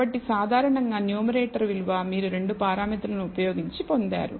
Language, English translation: Telugu, So, generally the numerator value is obtained, because you have used 2 parameters